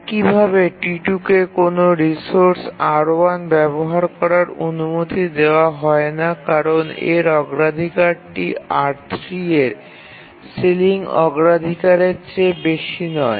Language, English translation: Bengali, And similarly T2 will not be allowed to use a resource R1 because its priority is not greater than the ceiling priority of R3